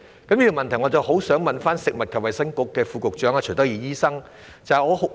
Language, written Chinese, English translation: Cantonese, 就着這問題，我很希望向食物及衞生局副局長徐德義醫生提出補充質詢。, Regarding this issue I really wish to ask Under Secretary for Food and Health Dr CHUI Tak - yi a supplementary question